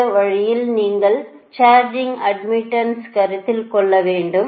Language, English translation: Tamil, this way you have to consider the charging admittance right